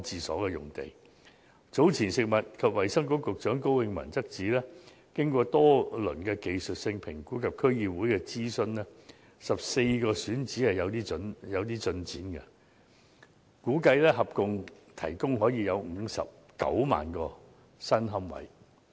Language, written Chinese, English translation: Cantonese, 食物及衞生局局長高永文早前指出，經過多輪技術性評估及諮詢區議會 ，14 個選址已有進展，估計可以合共提供59萬個新龕位。, As pointed out by Secretary for Food and Health Dr KO Wing - man earlier after a few rounds of technical assessment and consultation with District Councils progress has been made on 14 sites and it is estimated that a total of 590 000 new niches can be provided